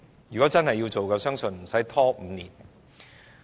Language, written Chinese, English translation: Cantonese, 如果真的要實行，我相信無須拖5年。, I believe that if one really wants to implement something one needs not drag on for five years